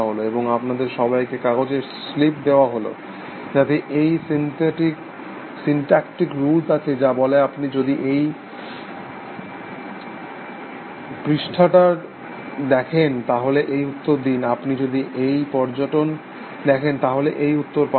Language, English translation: Bengali, And you are full of these slips of paper, which have these syntactic rules, which says if you see this pattern, then send out this response, if you see this pattern, then send out this response